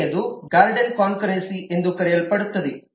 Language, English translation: Kannada, the second could be what is known as the guarded concurrency